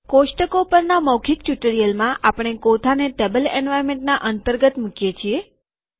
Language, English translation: Gujarati, In the spoken tutorial on tables, we put the tabular inside the table environment